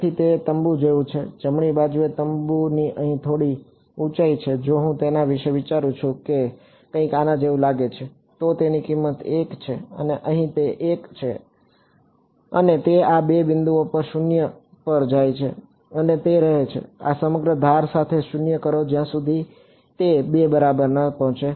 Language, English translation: Gujarati, So, its like its like a tent, right the tent has some height over here if I think about it looks something like this right it has its value 1 over here this much is 1 and it goes to 0 at these 2 points and it stays 0 along this whole edge until that reaches 2 ok